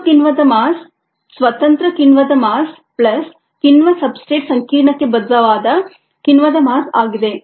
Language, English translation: Kannada, the mass of the total enzyme is the mass of the free enzyme plus the mass of the enzyme that is bound to the enzyme substrate complex, right